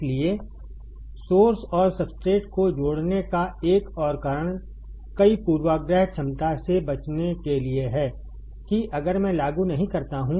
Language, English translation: Hindi, So, another reason of connecting source and substrate is to avoid to many bias potential, that if I do not apply